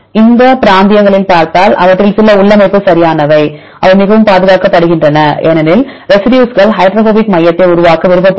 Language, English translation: Tamil, If you look at this in these regions; so you can see some of them which are interior right they are highly conserved mainly because the residues are preferred to form the hydrophobic core